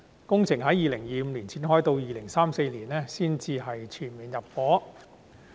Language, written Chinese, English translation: Cantonese, 工程將於2025年展開，到了2034年才全面入伙。, The construction works will commence in 2025 with full intake of population by 2034